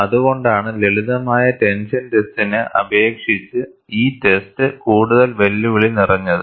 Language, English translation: Malayalam, That is why, the test is more challenging than in the case of a simple tension test